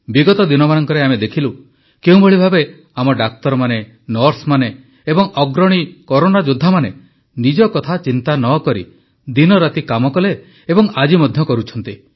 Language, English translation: Odia, We've seen in the days gone by how our doctors, nurses and frontline warriors have toiled day and night without bothering about themselves, and continue to do so